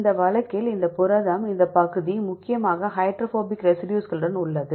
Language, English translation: Tamil, In this case this protein, this region is predominantly with the hydrophobic residues